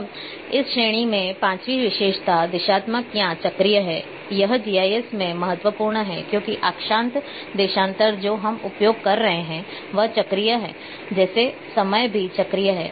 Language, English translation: Hindi, Now, the fifth attribute in this category is directional or cyclic this is very, very important in GIS because the latitude longitude which would which we are using is a cyclic same like time is also a cyclic